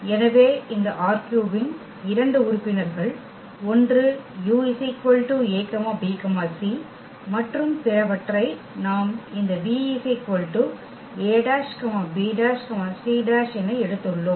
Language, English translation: Tamil, So, 2 members of this R 3; one is a b c and other one we have taken this v a dash b dash and c dash